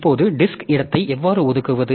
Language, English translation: Tamil, Now, how do we allocate the disk space